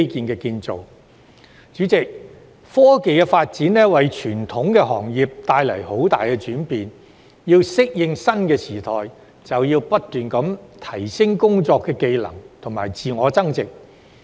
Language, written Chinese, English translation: Cantonese, 代理主席，科技發展為傳統行業帶來很大轉變，我們要適應新時代，就要不斷提升工作技能和自我增值。, Deputy President technological development has brought substantial changes to the traditional industries . We have to keep upgrading our work skills and enhancing ourselves in order to adapt to the new era